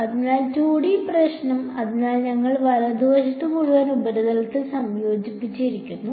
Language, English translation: Malayalam, So, 2D problem so, we had integrated over the whole surface right